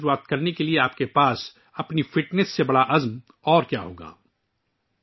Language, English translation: Urdu, What could be a bigger resolve than your own fitness to start 2024